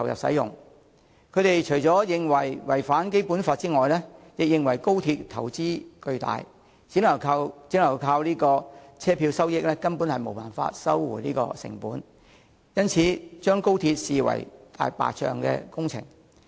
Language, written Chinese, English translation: Cantonese, 他們除了認為《條例草案》違反《基本法》外，亦認為高鐵投資巨大，只靠車票收益根本無法收回成本，因而把高鐵視為"大白象"工程。, Opposition Members think that the Bill contravenes the Basic Law and consider XRL a white elephant project given that the huge investment involved can hardly be recovered by revenue from tickets alone